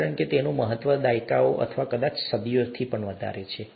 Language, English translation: Gujarati, Because it has significance over decades or probably even centuries